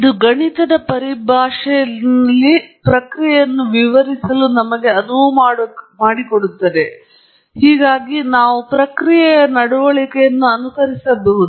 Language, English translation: Kannada, It allows us to describe a process in mathematical terms, so that we can emulate or simulate the process behavior